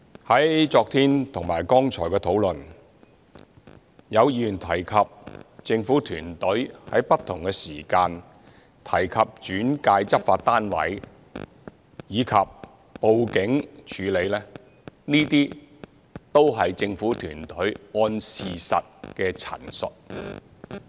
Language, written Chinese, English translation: Cantonese, 在昨天和剛才的討論，有議員提及政府團隊於不同時間提及轉介執法單位，以及報警處理，這些都是政府團隊按事實的陳述。, As stated by Members in the discussions yesterday and just now the Administrations team has at different points of time mentioned the referral to law enforcement agencies and the report made to the Police and these statements are made by the Administrations team according to the facts